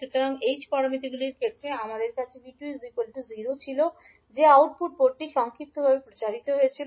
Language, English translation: Bengali, So in case of h parameters we were having V2 is equal to 0 that is output port was short circuited